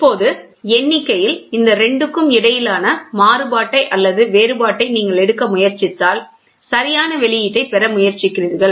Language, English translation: Tamil, So now, if you try to take the variation or the difference between these 2 in the counting then you try to get proper output